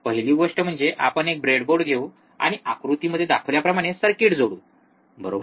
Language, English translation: Marathi, First thing is we will take a breadboard and we will connect the circuit as shown in figure, right